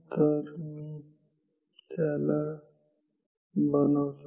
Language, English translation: Marathi, So, I will make it